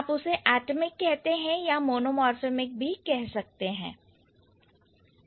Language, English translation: Hindi, So, either you call it atomic or you call it mono monomorphic